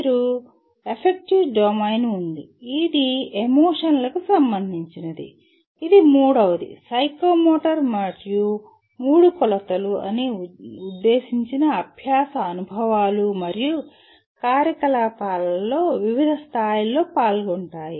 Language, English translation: Telugu, You have affective domain which concerns with the emotion and then third one is psychomotor and all three dimensions are involved to varying degrees in all intended learning experiences and activities